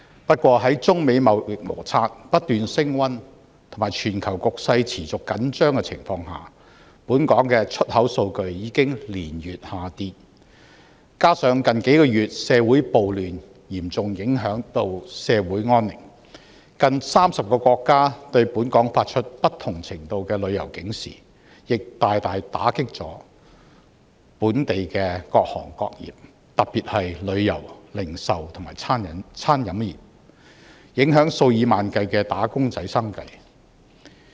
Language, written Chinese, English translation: Cantonese, 不過，在中美貿易摩擦不斷升溫和全球局勢持續緊張的情況下，本港的出口數據已經連月下跌，加上近數月社會暴亂，嚴重影響社會安寧，近30個國家對本港發出不同程度的旅遊警示，亦大大打擊本港的各行各業，特別是旅遊、零售和餐飲業，影響數以萬計的"打工仔"生計。, Nonetheless due to the escalating trade disputes between China and the United States and the increasingly tense global situation exports have been on the decline for several months . Moreover the social disorder in the past few months has seriously disrupted the peace in society prompting nearly 30 countries to issue various levels of travel alerts about visiting Hong Kong . This has caused serious impacts on the business of various trades and industries particularly the tourism industry the retail industry and the catering industry affecting the livelihood of tens of thousands of wage earners